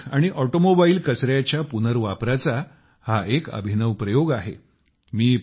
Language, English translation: Marathi, This is an innovative experiment with Electronic and Automobile Waste Recycling